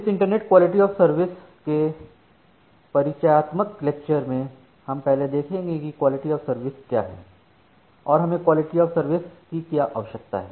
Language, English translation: Hindi, So, in this introductory lecture of the internet quality of service we will first look into what is quality of service, and what do we require quality of service